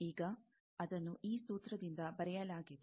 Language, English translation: Kannada, Now, that is written by this formula